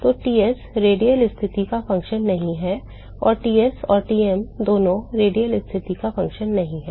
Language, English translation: Hindi, So, Ts is not a function of radial position and Ts and Tm both are not function of radial position